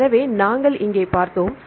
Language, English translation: Tamil, So, we saw here